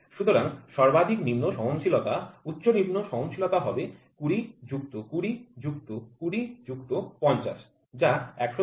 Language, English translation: Bengali, So, the maximum lower tolerance upper lower tolerance will be 20 plus 20 plus 20 plus 50 which is 110